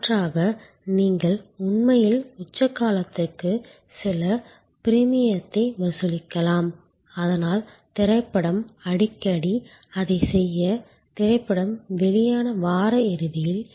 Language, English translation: Tamil, Alternately you can actually charge some premium for the peak period, so movie also often to do that, that the during the weekend of the release of the movie